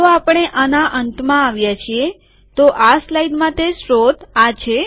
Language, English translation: Gujarati, So we have come to the end of, so this is the source for this slide